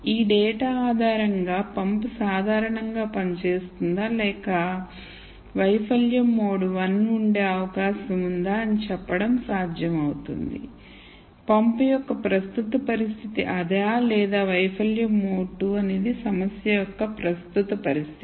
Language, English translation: Telugu, Based on this data would be possible for me to say if the pump is operating normally or is there likely to be failure mode 1 that is the current situation of the pump or is it failure mode 2 that is the current situation of the problem